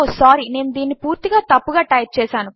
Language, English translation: Telugu, Sorry I have typed this completely wrong